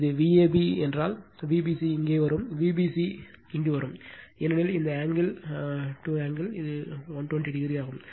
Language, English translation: Tamil, Then if it is V a b like this, then V b c will come here V b c will come here because this angle to this angle, it is 120 degree